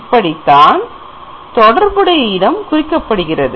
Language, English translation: Tamil, So this is how this corresponding location is given